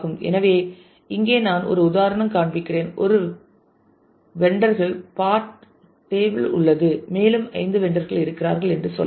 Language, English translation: Tamil, So, here I am showing some example say there is a vendors part table and let us say there are 5 vendors and let us say